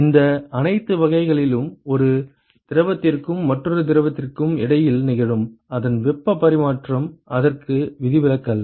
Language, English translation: Tamil, Its heat exchange which is happening between one fluid and another fluid in all these types there is no exception to that